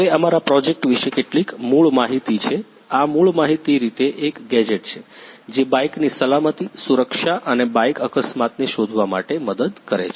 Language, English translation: Gujarati, Now some basic information about our project is, this is basically a gadget which help in bike safety, security and also help to detect the bike accident